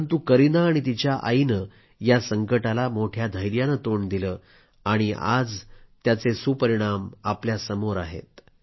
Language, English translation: Marathi, But Kareena and her mother did not lose courage and the result of that fortitude is evident in front of all of us today